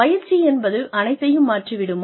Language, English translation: Tamil, Will training change everything